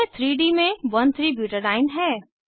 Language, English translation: Hindi, This is 1,3butadiene in 3D